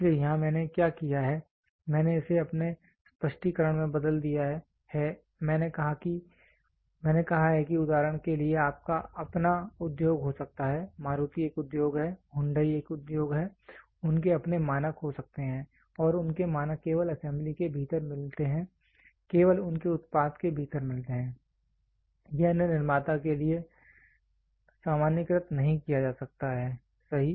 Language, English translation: Hindi, So, here what I have done is I have converted this in my explanation I have said this can be your own industry for example, Maruti is an industry, Hyundai is an industry, they can have their own standards and their standards meet out only within the assembly within their product only, it cannot be generalized to other producer, right